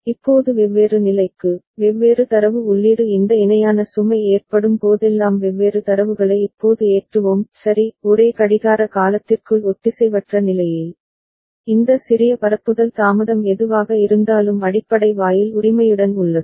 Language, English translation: Tamil, Now for different condition, different data input we’ll be having different data now getting loaded whenever this parallel load occurs ok; asynchronously within the same clock period right, after the whatever this small propagation delay is there with the basic gate right